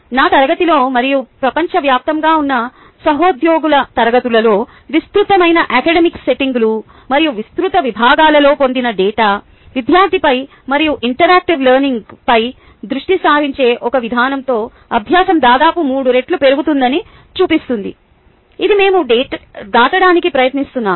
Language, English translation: Telugu, data obtained in my class and in classes of colleagues worldwide in a wide range of academic settings and a wide range of disciplines, show that learning gains nearly triple with an approach that focuses on the student and on interactive learning